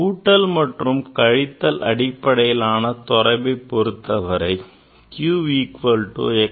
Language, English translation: Tamil, In case of summation and difference say q equal to so equal to x plus y ok